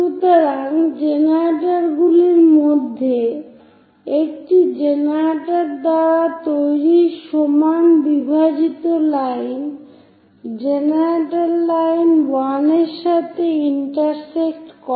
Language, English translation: Bengali, So, equal division made by one of the generator is this one intersecting with generator line 1